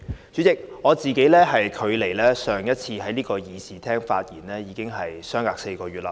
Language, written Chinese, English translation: Cantonese, 主席，我上次在這個議事廳發言至今，已經4個月。, President four months have passed since the last time I spoke in this Chamber